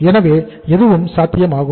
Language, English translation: Tamil, So anything is possible